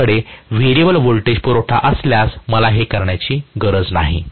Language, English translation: Marathi, If I have a variable voltage supply, I do not have to do this